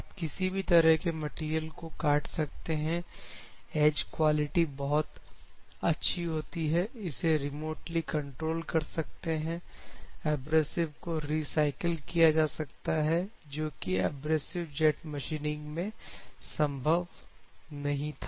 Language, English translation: Hindi, You can cut any kind of materials, high edge quality, adaptable for remote control, recycling abrasives, also possible because in abrasive jet machining you do not have this flexibility of recycling of abrasives